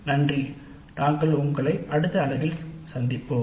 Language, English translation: Tamil, Thank you and we will meet in the next unit